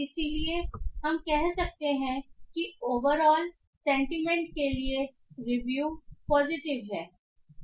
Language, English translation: Hindi, So we can say the overall sentiment for this review is positive